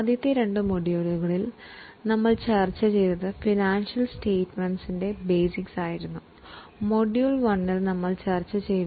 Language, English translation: Malayalam, In the first two modules we have discussed the basics of financial statements